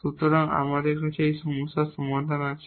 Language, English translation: Bengali, So, we have the solution of this problem